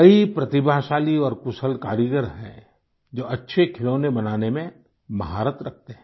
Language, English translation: Hindi, There are many talented and skilled artisans who possess expertise in making good toys